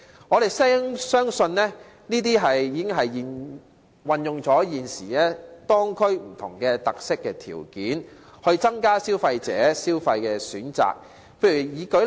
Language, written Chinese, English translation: Cantonese, 我們相信，這些建議已經運用了現時當區的不同特色和條件，從而增加消費者的消費選擇。, We believe that these proposals have made use of the existing different characteristics and conditions of the local areas such that more choices of consumption can be provided